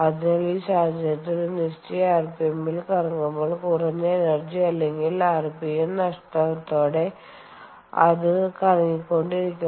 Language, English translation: Malayalam, so in this scenario, when it is rotating at certain rpm, it can keep rotating ok, without with minimal loss of energy or rpm